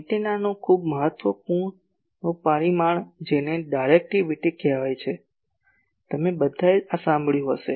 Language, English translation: Gujarati, Very important parameter of antenna called Directivity ; all of you may have heard this